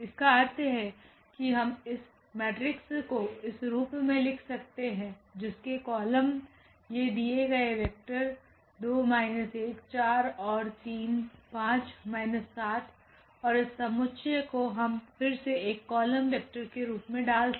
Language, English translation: Hindi, Meaning that we can write down this as this matrix whose columns are these given vectors are 2 minus 1 4 and 3 5 minus 3 and this s t we can put again as a column vector there